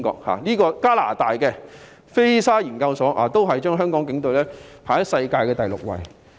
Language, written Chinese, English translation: Cantonese, 此外，加拿大的菲沙研究所也將香港警隊置於世界第六位。, Moreover Fraser Institute of Canada also put Hong Kong Police Force on the sixth place in the world